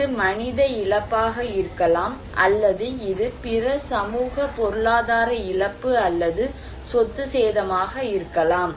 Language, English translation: Tamil, This could be human loss; it could be other socio economic loss or property damage right